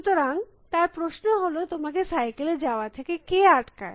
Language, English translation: Bengali, So, his question is what stops you from going in a cycle